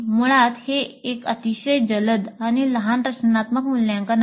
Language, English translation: Marathi, So basically, it's a very quick and short, formative assessment